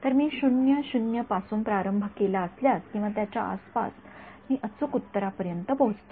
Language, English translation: Marathi, So, if I started from 0 0 or its neighborhood I reach the correct answer